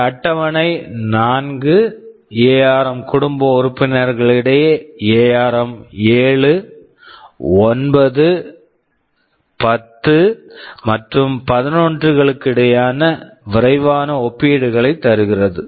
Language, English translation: Tamil, TNow, this table gives a quick comparison among 4 ARM family members ARM 7, 9, 10 and 11